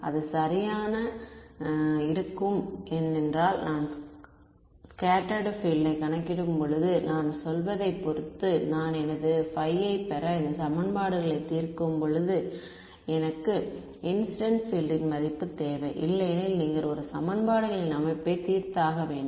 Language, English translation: Tamil, While it will matter right because a scattered field that I calculate, will depend on the I mean when I solved these equations to get my phi, I needed the value of the incident field otherwise you going to a solved the system of equations